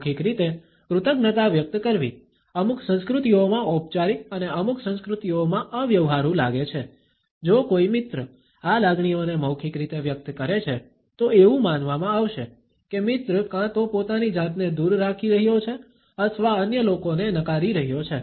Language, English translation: Gujarati, Expressing gratitude verbally may seem formal and impersonal in certain cultures and in certain cultures if a friend expresses these feelings in a verbal manner, it would be perceived as if the friend is either distancing himself or is rejecting the other people